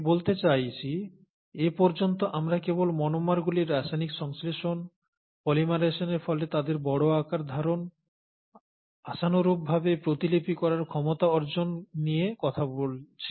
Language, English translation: Bengali, I mean all this while we are only talking about chemical synthesis of monomers, their polymerization to larger forms, hopefully acquisition of replicative ability